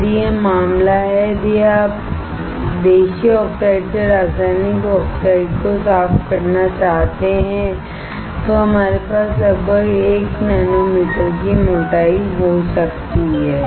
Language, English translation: Hindi, If this is the case, if you want to clean the chemical oxides from the native oxides we can have thickness of about 1 nanometer